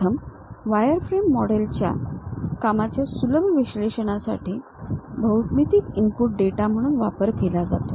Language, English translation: Marathi, The first wireframe model are used as input geometry data for easy analysis of the work